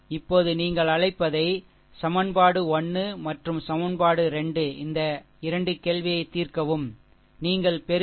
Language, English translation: Tamil, Now solve you what you call you solve equation 1 and equation 2 this 2 question, we solve you will get v 1 is equal to 13